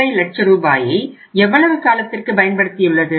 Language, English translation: Tamil, 5 lakh rupees for how much period